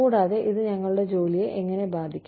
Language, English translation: Malayalam, And, how this can affect our work